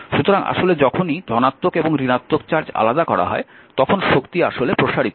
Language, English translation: Bengali, So, actually whenever positive and negative charges are separated energy actually is expanded